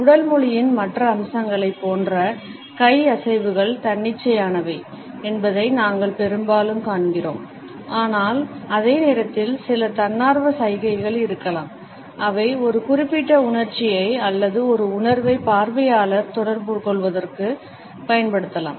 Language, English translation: Tamil, Most of the time we find that hand movements like the rest of the body language aspect are involuntary, but at the same time there may be certain voluntary gestures which we can deliberately use to communicate a particular emotion or a feeling to the onlooker